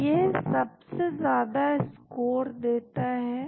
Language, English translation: Hindi, So, this gives the highest score